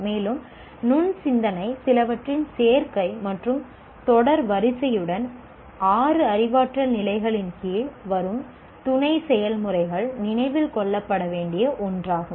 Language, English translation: Tamil, So critical thinking involves some combination and in some sequence the sub that come under the six cognitive levels